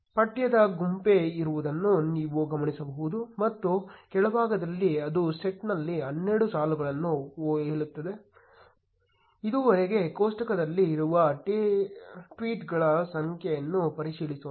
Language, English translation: Kannada, You will notice that there is a bunch of text and at the bottom it says 12 rows in set, let us verify the number of tweets present in the table so far